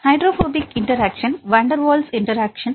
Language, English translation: Tamil, Hydrophobic interactions, Van Der Waals interactions, right